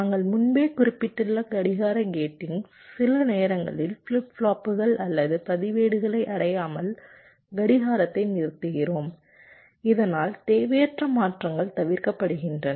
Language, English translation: Tamil, already you know we mentioned earlier also that we sometimes selectively stop the clock from reaching some of the flip flops or registers so that unnecessary transitions are avoided